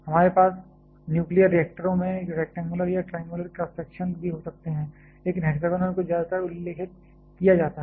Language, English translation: Hindi, We can also have rectangular or triangular cross sections in nuclear reactors, but hexagonal is mostly referred